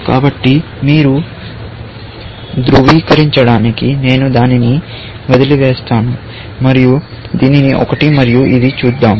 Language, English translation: Telugu, So, I will leave that for you to verify, and let us see this one and this one